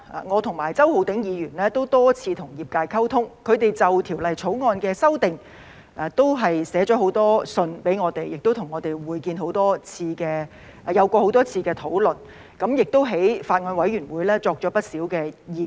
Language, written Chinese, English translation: Cantonese, 我和周浩鼎議員多次與業界溝通，他們就《條例草案》的修訂已多次向我們致函，並與我們多次會面和討論，並在法案委員會提出了不少意見。, Mr Holden CHOW and I had communicated with the profession on many occasions . Regarding the amendments in the Bill they had written to us and met and discussed with us many times and had expressed many views in the Bills Committee